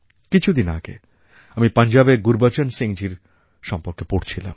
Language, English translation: Bengali, A few days ago, I was reading about a farmer brother Gurbachan Singh from Punjab